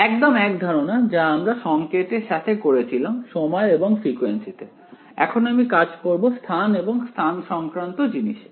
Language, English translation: Bengali, Exactly the same concept in signals I worked in time and frequency now I will work in space and spatial frequency